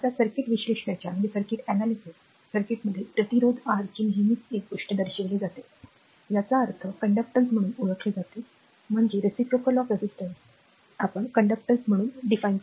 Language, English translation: Marathi, Now, in a circuit in a circuit analysis we always represent one thing reciprocal of resistance R; that means, is known as conductance, that we reciprocal of resistance we defined as a conductance, right